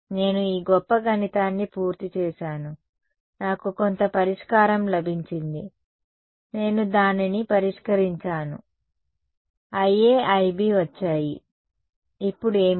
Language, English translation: Telugu, I have done all these great math I have got some solution I have solved it got I A I B now what